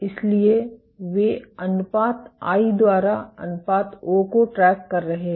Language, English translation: Hindi, So, they are tracking the ratio i by o